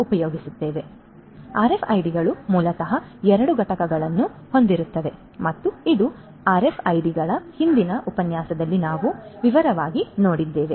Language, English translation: Kannada, So, RFIDs basically will have two components and this is something that we have looked at in a previous lecture on RFIDs in detail